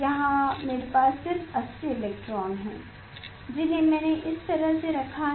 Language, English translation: Hindi, here I have just 80 electrons I put like this